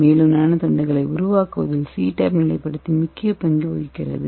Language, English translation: Tamil, And also we have to use the stabilizer this CTAB stabilizer plays a major role in formation of Nano rods